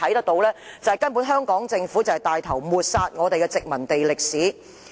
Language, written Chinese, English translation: Cantonese, 不過，顯然政府帶頭抹煞我們的殖民地歷史。, However the Government is obviously taking the lead to obliterate our colonial history